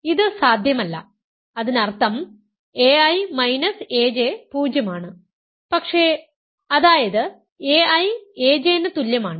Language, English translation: Malayalam, So, this is not possible; that means, a i minus a j is 0, but; that means, a i is equal to a j ok